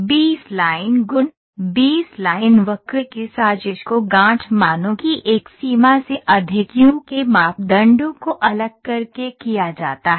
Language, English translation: Hindi, The B spline properties, the plotting of B spline curve is done by varying the parameters of u over a range of knot values